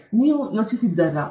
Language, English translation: Kannada, So, you would have wondered